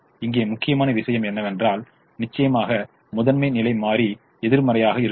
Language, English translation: Tamil, the important thing here, off course, is the pivot has to be negative